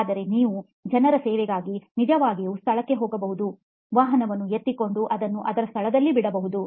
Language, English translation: Kannada, But you, the servicing people can actually go to the location, pick up the vehicle and drop it off at the end